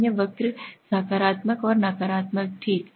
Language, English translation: Hindi, Normal curve, positive and negative okay